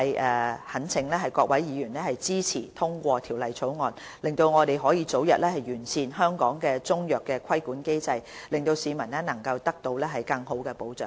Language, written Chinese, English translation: Cantonese, 我懇請各位議員支持通過《條例草案》，讓我們早日完善香港的中藥規管機制，令市民能得到更佳保障。, I implore Honourable Members to support the passage of the Bill to enable the regulatory mechanism for Chinese medicines to be improved expeditiously so as to afford better protection to the public